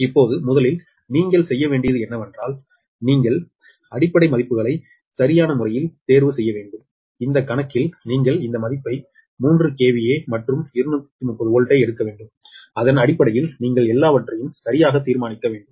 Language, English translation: Tamil, first, what you have to do is you have to choose base base values right, and in this problem, in this problem that is, given that you have to take this value, three k v a and two thirty volt, and based on that you have to determine everything right